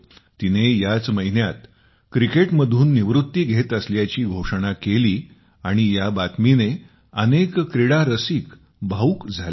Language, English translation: Marathi, Just this month, she has announced her retirement from cricket which has emotionally moved many sports lovers